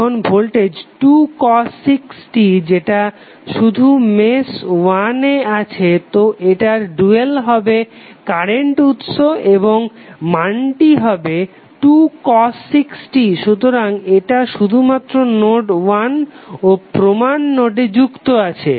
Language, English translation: Bengali, Now voltage 2 cos 6t we appear only in mesh 1 so it’s dual would be current source and the value would be 2 cos 6t therefore it is connected only to node 1 and the reference node